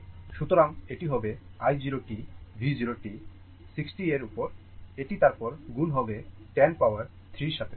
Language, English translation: Bengali, So, it will be your ah i 0 t will be V 0 t upon 60 it is ah into 10 to the power 3